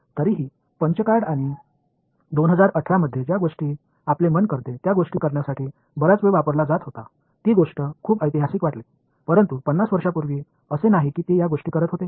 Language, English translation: Marathi, Still it used to take lot of time they use to do things with punch cards and things which do our minds in 2018 seems pretty historic, but it is not this is 50 years ago that they were doing these things